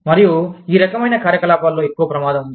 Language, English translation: Telugu, And, there is a greater risk, in these kinds of operations